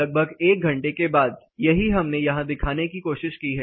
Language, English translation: Hindi, After about an hour, that is what we tried depicting here